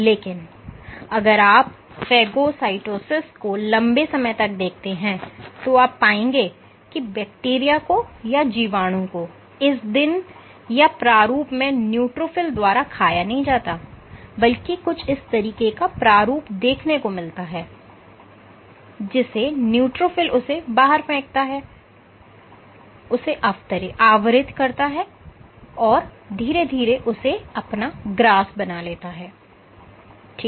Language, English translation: Hindi, Because if you look at the phagocytosis long time you would see if this is the bacteria the phagocyte the neutrophil does not eat up the bacteria in this configuration, rather you have a configuration like this in which the neutrophil sends out it covers and eventually it gulps it ok